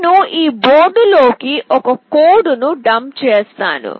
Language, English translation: Telugu, I will be dumping a code into this board